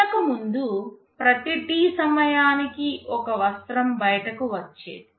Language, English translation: Telugu, Earlier one cloth was coming out every time T